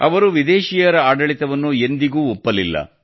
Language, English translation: Kannada, He never accepted foreign rule